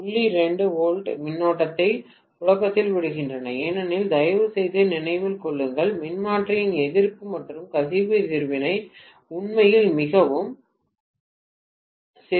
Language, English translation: Tamil, 2 volts is going to circulate the current because please remember the resistance and leakage reactance’s of the transformer are really really small